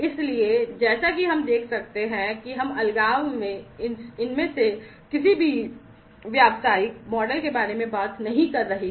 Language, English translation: Hindi, So, as we can see that we are not talking about any of these business models in isolation